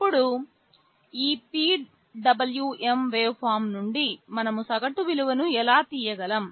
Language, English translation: Telugu, Now, from this PWM waveform, how can we extract the average value